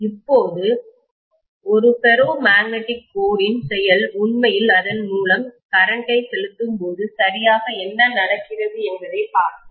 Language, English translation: Tamil, Now let us try to see what happens exactly to the behavior of a ferromagnetic core when I am actually pumping in current through that, okay